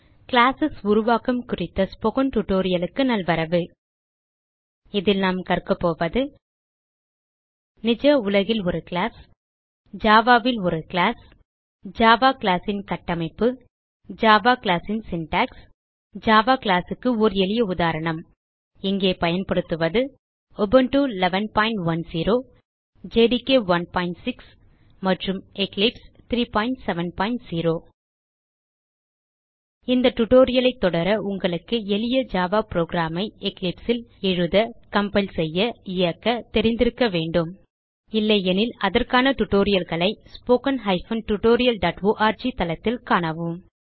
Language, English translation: Tamil, Welcome to the spoken tutorial on Creating Classes In this tutorial, we will learn about A class in real world A class in Java Structure of a Java class Syntax for a Java class And A simple example of Java class Here we are using Ubuntu version 11.10 JDK 1.6 and Eclipse 3.7.0 To follow this tutorial you must know how to write, compile and run a simple Java program in Eclipse